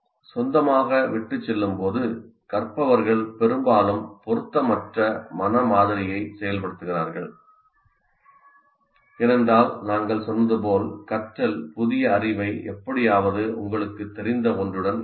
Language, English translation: Tamil, When left on their own learners often activate an inappropriate mental model because as we said, the learning constitutes somehow connecting the new knowledge to something that you already know